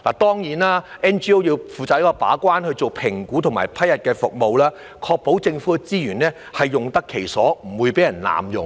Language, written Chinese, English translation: Cantonese, 當然 ，NGO 要負責把關，進行評估和批核服務，確保政府資源用得其所，不會被人濫用。, Certainly NGOs should act as gatekeepers and conduct the necessary assessments as well as vetting and approving of applications for the services . This will ensure appropriate use of government resources and prevent abuse